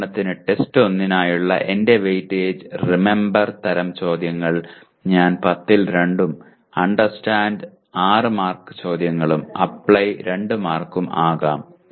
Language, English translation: Malayalam, For example my weightage for test 1, Remember type of questions I ask 2 out of 10 and Understand 6 marks questions and Apply 2